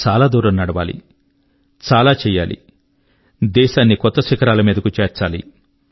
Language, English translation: Telugu, We have to walk far, we have to achieve a lot, we have to take our country to new heights